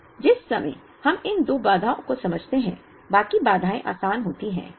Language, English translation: Hindi, So, the moment we understand these two constraints, the rest of the constraints are easy